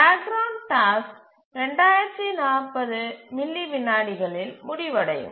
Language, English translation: Tamil, So the background task will complete in 2040 milliseconds